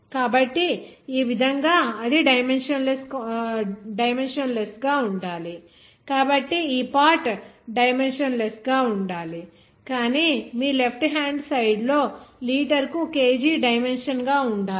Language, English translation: Telugu, So that way it should be that dimensionless so this part should dimensionless but your left hand sides have the dimension of kg per liter